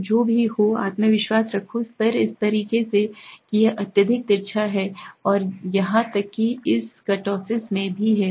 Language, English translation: Hindi, So whatever be the confidence level this is way it is highly skewed and even in this kurtosis